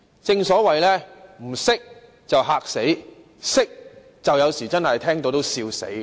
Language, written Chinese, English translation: Cantonese, 正所謂"不懂的便嚇死；懂的有時聽到也笑死"。, As the saying goes While the ignorant may be shocked to death the knowledgeable will laugh themselves to death